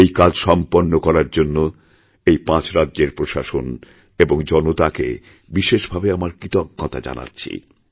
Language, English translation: Bengali, I express my gratitude to the administration, government and especially the people of these five states, for achieving this objective